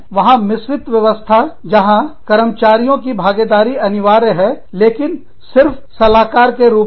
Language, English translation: Hindi, There is a mixed system, with obligatory participation of employees, but only an advisory role